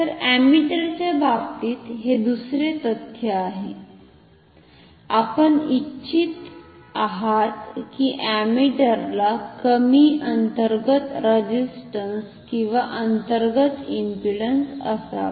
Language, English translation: Marathi, So, this is the second fact about the ammeters, we would like the ammeters to have very low internal resistance or internal impedance ok